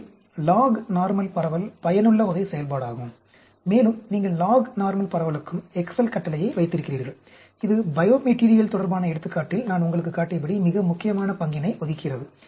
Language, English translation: Tamil, So, the lognormal distribution is also useful type of function, and you have the excel command also for lognormal distribution, which also plays a very important role as I showed you in example, related to biomaterial